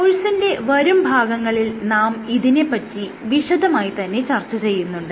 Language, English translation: Malayalam, We will discuss this in greater detail later in the course